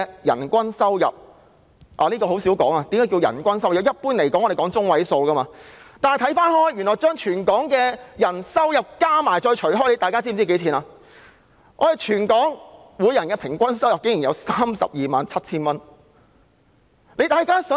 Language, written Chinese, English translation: Cantonese, 一般而言，我們在進行說明時會採用入息中位數，但若將全港市民的收入總和除以人數，全港人士的平均收入竟為 327,000 元。, Generally speaking median income is often used for illustration but if we divide the total income of Hong Kong people by the local population it will give a per capita income of 327,000